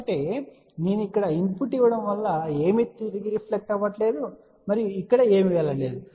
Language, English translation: Telugu, So that means, if I am giving a input here nothing is reflected back and nothing is going over here